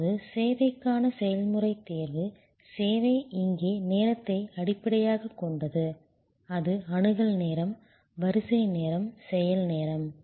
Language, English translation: Tamil, Now, process selection for service, service is based on time here, it can be access time, queue time, action time